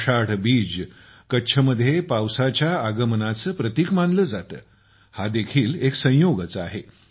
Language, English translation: Marathi, It is also a coincidence that Ashadhi Beej is considered a symbol of the onset of rains in Kutch